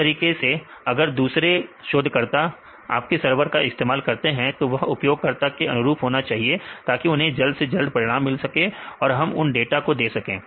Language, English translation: Hindi, Likewise if the other researchers like to use your server that should be user friendly so that they can get the results quickly and what they want they we need to give provide the data